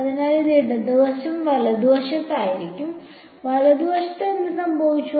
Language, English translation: Malayalam, So, this was the left hand side right; what happened with the right hand side